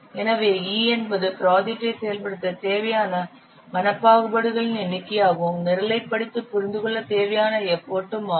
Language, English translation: Tamil, So normally, e is the number of mental discriminations required to implement the program and also the effort required to read and understand the program